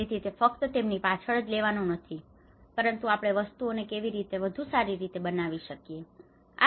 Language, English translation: Gujarati, So it is not just only taking them to the back but how we can improve things better